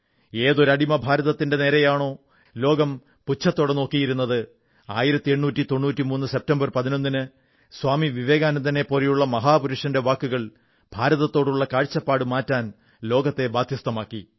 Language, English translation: Malayalam, The enslaved India which was gazed at by the world in a much distorted manner was forced to change its way of looking at India due to the words of a great man like Swami Vivekananda on September 11, 1893